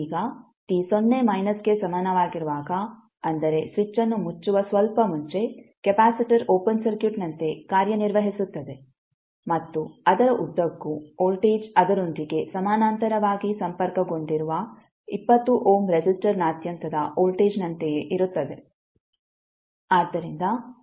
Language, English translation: Kannada, Now at t is equal to 0 minus that means just before the switch is closed the capacitor acts like a open circuit and voltage across it is the same as the voltage across 20 ohm resistor connected in parallel with it